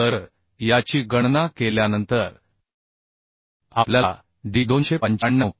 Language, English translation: Marathi, So after calculating this we are getting D as 2952 mm